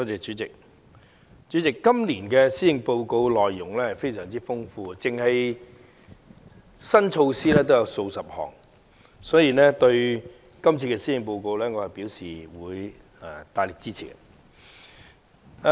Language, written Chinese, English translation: Cantonese, 代理主席，今年施政報告的內容非常豐富，單單新措施已有數十項，所以我對今次的施政報告表示大力支持。, Deputy President the Policy Address this year is rich in content evidenced by the very fact that dozens of new initiatives have been proposed . I therefore wish to state my strong support for this Policy Address